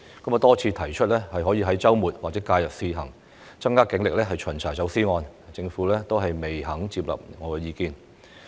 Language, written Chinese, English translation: Cantonese, 我多次提出可在周末或假日試行，增加警力巡查走私案件，但政府仍未接納我的意見。, I have proposed time and again to step up police patrol against smuggling during weekends or holidays on trial basis but the Government has yet to accept my proposal